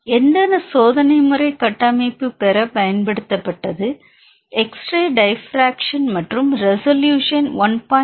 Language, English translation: Tamil, In this experimental method which was used to get the structure is X Ray diffraction and the resolution is 1